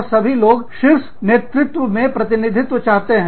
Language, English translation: Hindi, And, everybody wants a representation, in the top management